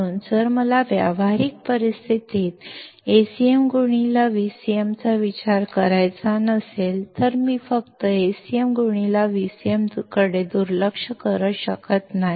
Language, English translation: Marathi, So, if I do not want to consider Acm into Vcm in practical situation then I cannot just ignore Acm into Vcm